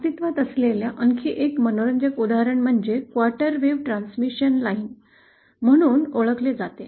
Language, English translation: Marathi, Another interesting type of transmission line that exists is what is known as the quarter wave transmission line